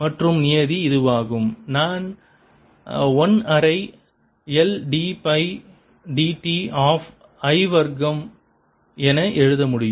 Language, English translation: Tamil, the other term is this, one which i can write as one half l d by d t of i square